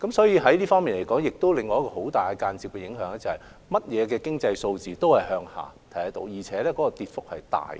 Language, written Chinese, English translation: Cantonese, 因此，這方面亦出現了另一個很大的間接影響，就是我們見到所有經濟數字均下跌，而且跌幅甚大。, Therefore another enormous indirect impact has thus arisen also on this front as we have seen a slump in all economic figures with very significant rates of decline